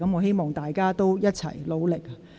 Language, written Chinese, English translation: Cantonese, 希望議員一起努力。, I hope all Members will work together in this respect